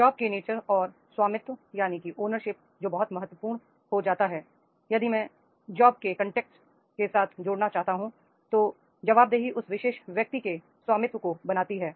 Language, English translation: Hindi, Nature of job and the ownership that becomes very very important if I want to connect the job with the context, then the accountability creates the ownership of that particular person